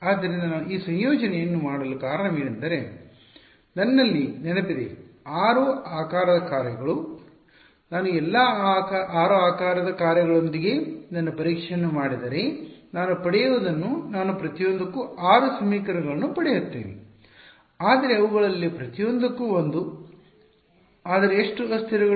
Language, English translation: Kannada, So, the reason that I did this combination is because remembering I have 6 shape functions if I do my testing with all 6 shape functions what I will get I will get 6 equations for each one of them one for each of them, but how many variables